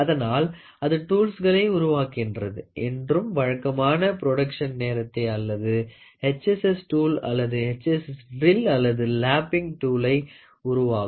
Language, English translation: Tamil, So, they make tools and then they give to the regular production time or they try to take HSS tool or maybe try to take a HSS drill or they try to manufacture a lapping tool